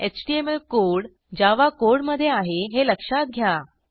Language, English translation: Marathi, Notice that, we have HTML code inside the Java code